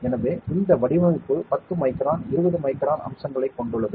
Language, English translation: Tamil, So, this design is a 10 micron, 20 micron features